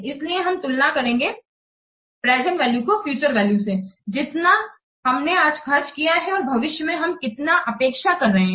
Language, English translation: Hindi, So, we compare the present values to the future values, how much we have spent today and how much we are expecting in future